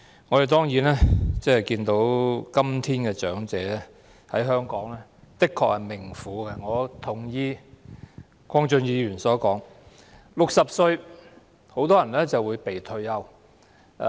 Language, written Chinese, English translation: Cantonese, 我們當然看到，今天長者在香港的確是命苦的，我認同鄺俊宇議員所說，很多人到60歲便會"被退休"。, We certainly see that nowadays elderly people are really leading a hard life in Hong Kong . I agree with what Mr KWONG Chun - yu said . Many people are forced to retire at the age of 60